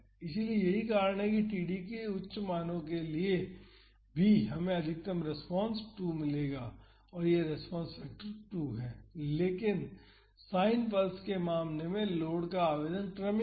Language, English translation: Hindi, So, that is why even for higher values of td, we would get a maximum response of 2 this response factor is 2, but in the case of the sine pulse the application of the load is gradual